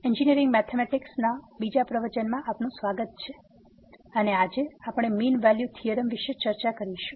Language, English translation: Gujarati, So, welcome to the second lecture on Engineering Mathematics – I and today, we will discuss Mean Value Theorems